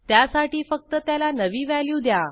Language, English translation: Marathi, To do so, just assign a new value to it